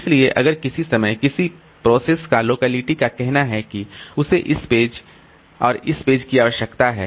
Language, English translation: Hindi, So, if the locality of a process at some point of time, if the locality says that it requires say this page, this page and this page